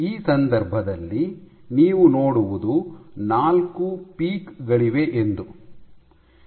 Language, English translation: Kannada, In this case, what you see is there are 4 peaks